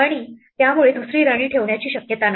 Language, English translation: Marathi, And so there is no possibility of putting a second queen